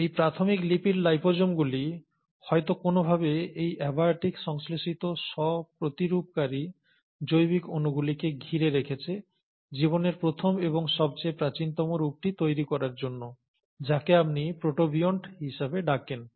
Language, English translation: Bengali, So these initial lipid liposomes would have somehow enclosed these abiotically synthesized self replicating biological molecules to form the first and the most earliest form of life, which is what you call as the protobionts